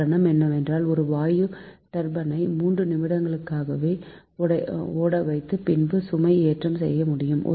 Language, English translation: Tamil, the reason is gas turbines can be started and loaded in just three minutes or less, because it is very it